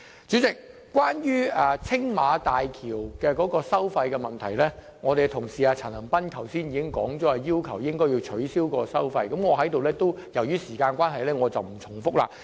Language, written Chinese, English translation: Cantonese, 主席，關於青嶼幹線收費的問題，我們同事陳恒鑌議員剛才已提出要求取消該項收費，由於時間關係，我在此不重複。, President as regards the tolls on the Lantau Link my fellow Member Mr CHAN Han - pan has just advised that the road should be toll free . I will not repeat the points here due to time constraints